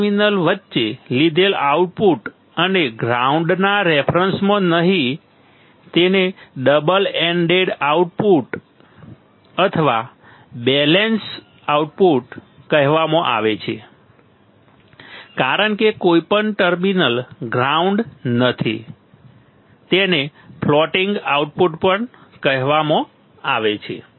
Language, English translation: Gujarati, The output taken between two terminals and not with respect to the ground is called double ended output or balanced output as none of the terminals is grounded it is also called floating output